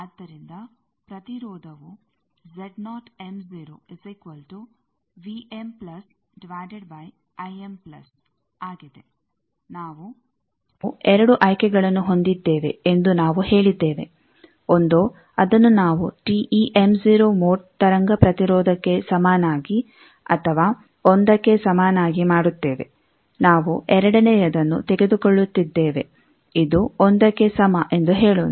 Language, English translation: Kannada, So, impedance is vm plus by I m plus, we said we had 2 choices either we make it equal to TE m0 mode wave impedance or equal to 1, we are taking the second 1 let us say that this is equal to 1